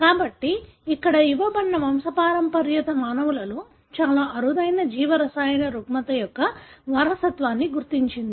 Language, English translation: Telugu, So, the pedigree given here traces the inheritance of a very rare biochemical disorder in humans